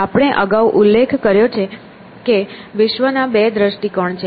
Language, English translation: Gujarati, So, we have mention earlier that there are two views of the world